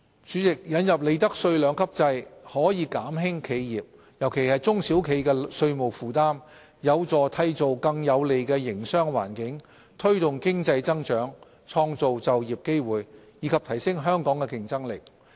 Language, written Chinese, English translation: Cantonese, 主席，引入利得稅兩級制可減輕企業——尤其是中小企——的稅務負擔，有助締造更有利的營商環境，推動經濟增長，創造就業機會，以及提升香港的競爭力。, President the introduction of the two - tiered profits tax rates regime will reduce the tax burden on enterprises especially SMEs help foster a more favourable business environment drive economic growth create employment opportunities and enhance Hong Kongs competitiveness